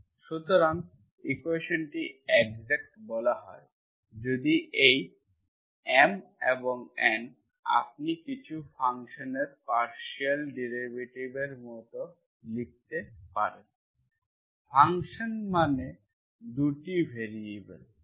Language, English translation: Bengali, So this is what it is, the equation is said to be exact if these M and N, you can write like a partial derivatives of some function, function means x, 2 variables x and y